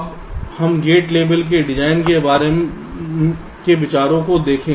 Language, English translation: Hindi, ok, now let us look at the gate level design considerations